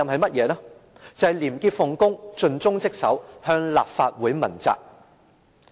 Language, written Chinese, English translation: Cantonese, 便是廉潔奉公，盡忠職守，向立法會問責。, He must be a person of integrity dedicated to his duty and be accountable to the Legislative Council